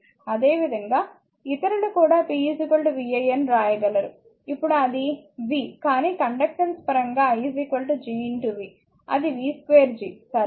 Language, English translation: Telugu, Similarly, also just other you can write p is equal to vi, now it is v, but in terms of conductance i is equal to G into v; that is v square G, right